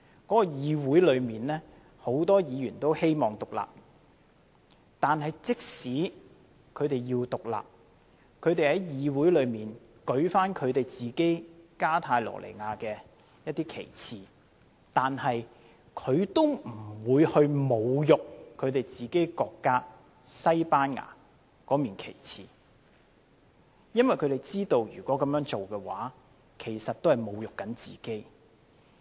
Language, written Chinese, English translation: Cantonese, 當地議會有很多議員都希望獨立，即使如此，他們在議會中舉起加泰羅尼亞的旗幟，都不會侮辱自己國家，即西班牙的國旗，因為他們知道如果這樣做，其實也在侮辱自己。, Many members of the local council desire independence . Even though they hoist the Catalonian flag in the council still they would not insult their own country that is the Spanish national flag because they know doing so means they are insulting themselves